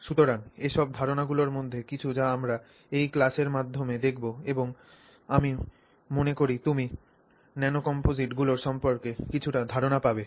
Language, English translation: Bengali, So, these are some of the ideas that we will look upon through this class and I think you will get some sense of this field of nanocomposites